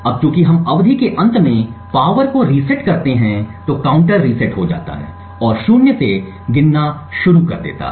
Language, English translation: Hindi, Now since we reset the power at the end of the epoch the counter would reset and start counting gain to zero